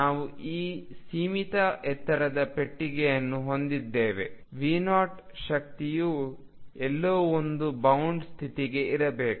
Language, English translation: Kannada, We have this box of finite height V 0 energy must be somewhere in between for a bound state